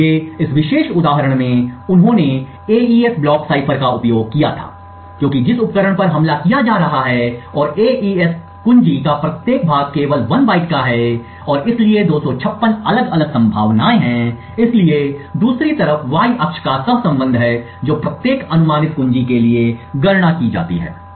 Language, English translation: Hindi, So in this particular example they had used the AES block cipher as the device which is being attacked and each part of the AES key is just of 1 byte and therefore has 256 different possibilities, so the Y axis on the other hand has the correlation which is computed for each key guess